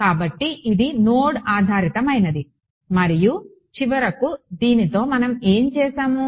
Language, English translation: Telugu, So, this was node based and finally, with this so, what did we right